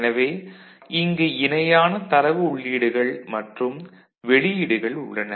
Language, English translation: Tamil, So, there are parallel data inputs and these are parallel data outputs